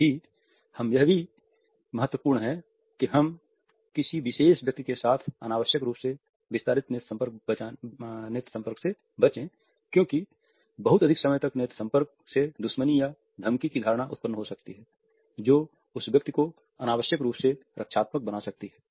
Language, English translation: Hindi, However, at the same time it is important that we avoid unnecessarily extended eye contact with a particular person as too long is there may generate a perception of hostility or threat or at the same time may make the person unnecessarily defensive